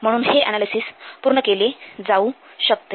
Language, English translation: Marathi, So, this analysis will be made